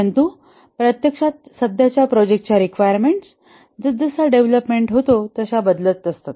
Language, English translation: Marathi, But then in reality the present projects, the requirements keep on changing as development proceeds